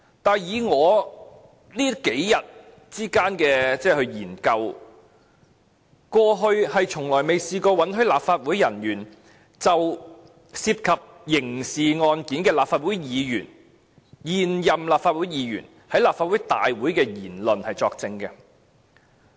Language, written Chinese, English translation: Cantonese, 可是，根據我這數天的研究所得，過去是從未試過允許立法會人員，就涉及刑事案件的現任立法會議員在立法會大會所作出的言論作證。, Nevertheless after doing some research in these few days I notice that no leave was ever granted in the past for officers of the Legislative Council to give evidence in the criminal proceedings instituted against any Legislative Council Member in office in respect of matters said before the Legislative Council